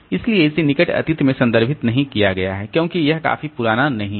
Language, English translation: Hindi, So, it has not been referred to in the near past because the because it is not old enough